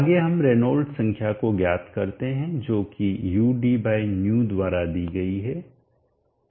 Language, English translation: Hindi, Next let us find the Reynolds number which is given by ud/